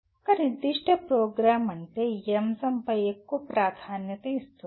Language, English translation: Telugu, A particular program that means is emphasizing more on this aspect